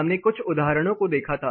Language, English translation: Hindi, We looked at some examples